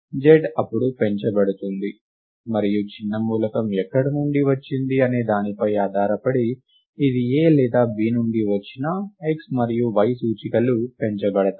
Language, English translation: Telugu, z is then incremented and depending on where the smaller element came from, whether it came from A or B, the indices x and y are incremented, the indices y and x are incremented right